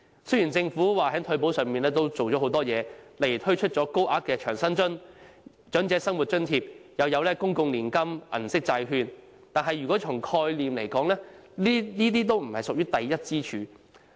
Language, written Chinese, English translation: Cantonese, 雖然政府表示已在退保上下了很多工夫，例如推出高額長者生活津貼，又有公共年金計劃、銀色債券等，但從概念來說，這些均不屬於第一根支柱。, Though the Government said that it has done a lot in retirement protection such as introducing the Higher Old Age Living Allowance HOALA public annuity scheme and Silver Bond Series and so on these measures do not belong to the first pillar in conceptual terms . Take the Old Age Living Allowance OALA as an example